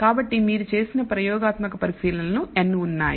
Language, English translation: Telugu, So, there are n experimental observations you have made